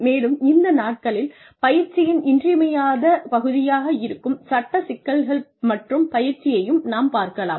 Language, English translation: Tamil, And, we can also discuss the legal issues and training, which is an essential part of training, these days